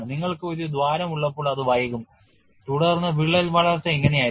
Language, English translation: Malayalam, When you have a hole it I will delay and then crack growth will be like this